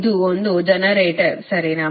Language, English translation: Kannada, this is, this is one generator